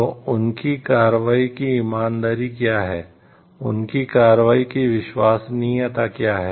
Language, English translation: Hindi, So, what is the integrity of their action what is the trustworthiness of their action